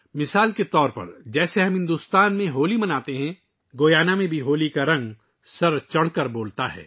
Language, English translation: Urdu, For example, as we celebrate Holi in India, in Guyana also the colors of Holi come alive with zest